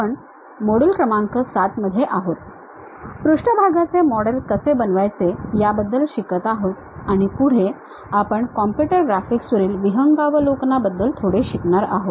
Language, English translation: Marathi, We are in module number 7, learning about how to construct surface models and further we are learning little bit about Overview on Computer Graphics